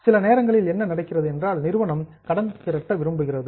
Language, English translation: Tamil, Sometimes what happens is company wants to raise loan